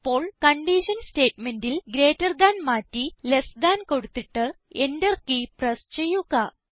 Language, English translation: Malayalam, Now, in the condition statement lets change greater than to less than and press the Enter key